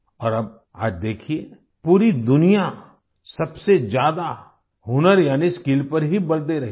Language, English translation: Hindi, And now see, today, the whole world is emphasizing the most on skill